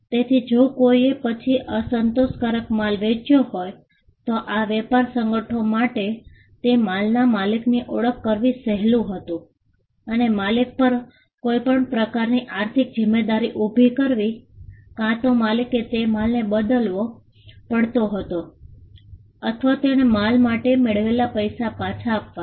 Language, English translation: Gujarati, So if someone sold unsatisfactory goods then, it was easy for these trade organizations to identify the owner of those goods and cause some kind of liability on the owner, either the owner had to replace the goods or he had to give back the consideration the money, he received for the goods